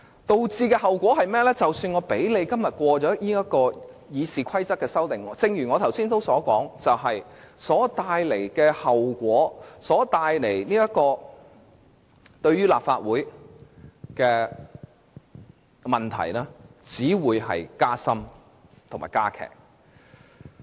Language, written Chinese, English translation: Cantonese, 結果，即使今天通過對《議事規則》的修訂，但正如我剛才所說般，所造成的後果及為立法會所帶來的問題只會加深加劇。, As a result even if the amendments to RoP are passed today as I said just now the consequences thus caused and the problems created for the Legislative Council will only be exacerbated